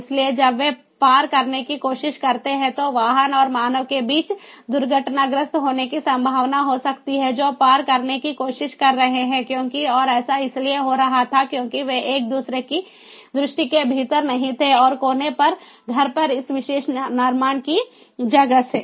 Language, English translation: Hindi, so when they try to cross, there could be a possibility of crash, crash between the vehicle and the human who is trying to cross, because and this is this was happening, because they were not within line of sight of each other and because of the existence of this particular building on the house, on the corner, so you know